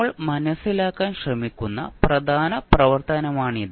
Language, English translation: Malayalam, So, this would be the important activity which we will try to understand